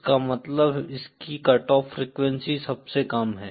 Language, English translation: Hindi, That is it has the lowest cut off frequency